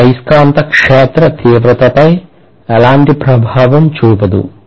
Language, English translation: Telugu, So that is not having any influence on the magnetic field intensity